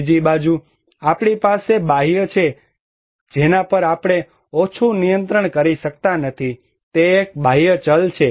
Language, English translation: Gujarati, On the other hand, we have external one which we cannot less control, is an exogenous variable